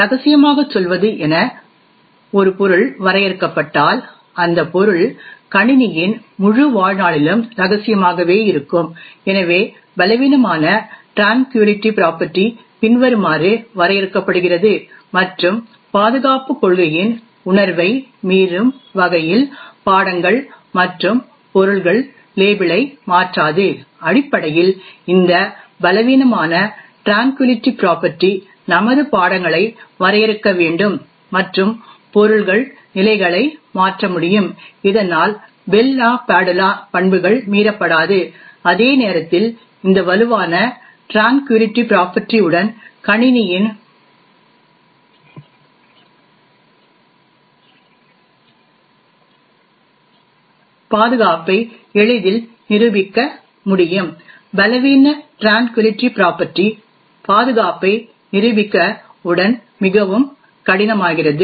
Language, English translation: Tamil, Further similar way if an object is defined as say confidential then the object will remain confidential for the entire lifetime of the system, so a weaker tranquillity property is defined as follows subject and objects do not change label in a way that violates the spirit of the security policy, essentially this Weak Tranquillity property should define our subjects and objects can change levels so that the Bell LaPadula properties are not violated, while proving the security of the system with this Strong Tranquillity property in be easily done, proving the security with Weak Tranquillity property becomes much more difficult